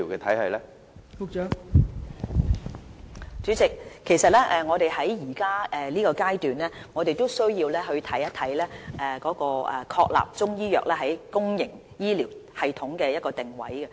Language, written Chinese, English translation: Cantonese, 代理主席，我們現階段是需要確立中醫藥在公營醫療系統的定位。, Deputy President at this stage we need to determine the positioning of Chinese medicine in our public health care system